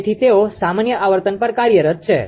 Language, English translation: Gujarati, So, they are operating at common frequency